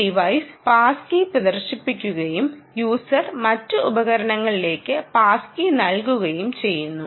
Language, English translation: Malayalam, one device displays the pass key and user enters the pass key into the other devices